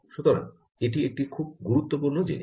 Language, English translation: Bengali, so thats a very important thing